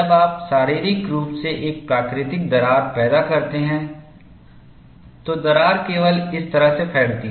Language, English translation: Hindi, When you physically produce a natural crack, the crack would propagate only in this fashion